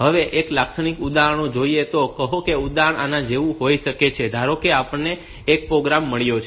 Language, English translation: Gujarati, A typical example; can be like this say, we have got suppose we have got a program